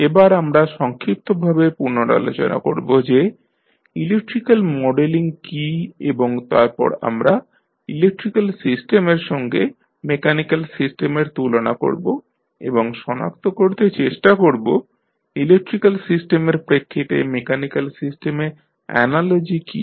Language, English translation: Bengali, So, we will recap that what is the modeling of electrical system and then we will compare the electrical system with the mechanical system and we will try to identify what are the analogies in the mechanical system with respect to the electrical system